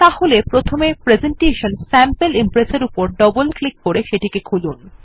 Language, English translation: Bengali, So first, let us open our presentation Sample Impress by double clicking on it